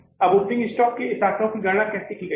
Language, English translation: Hindi, Now how this figure of the opening stock has been calculated